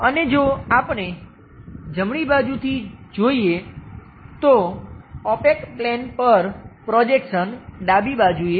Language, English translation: Gujarati, And if we are looking from right hand side,the projection on to the opaque plane comes at left side